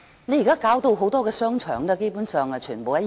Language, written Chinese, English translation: Cantonese, 現在它把很多商場打造到基本上完全一樣。, Now it has turned many shopping arcades basically identical